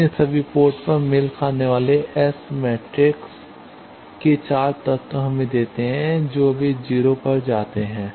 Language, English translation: Hindi, So, matched at all ports give us 4 elements of the S matrix they go to 0